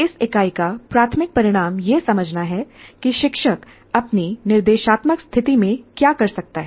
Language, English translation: Hindi, So the major outcome of this unit is understand what the teacher can do in his instructional situation